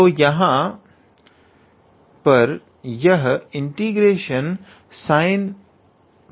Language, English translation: Hindi, So, here this is sine n minus 2 x dx